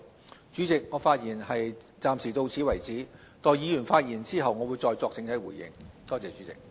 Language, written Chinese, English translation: Cantonese, 代理主席，我暫發言至此，待議員發言後，會再作整體回應，多謝代理主席。, Deputy President I will stop for now and let Members speak before giving an overall response . Thank you Deputy President